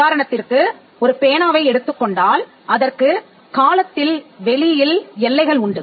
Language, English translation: Tamil, Take a pen for instance, the pen has a boundary in time and space